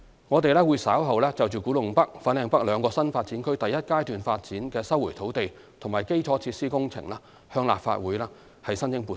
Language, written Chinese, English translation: Cantonese, 我們稍後會就古洞北/粉嶺北兩個新發展區第一階段發展的收回土地及基礎設施工程向立法會申請撥款。, Later on we will seek funding from the Legislative Council for the resumption exercise and engineering infrastructure works in respect of the first phase development of the KTN and FLN NDAs